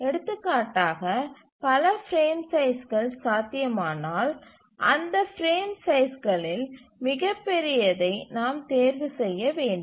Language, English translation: Tamil, If we find that multiple frame sizes become possible, then we need to choose the largest of those frame sizes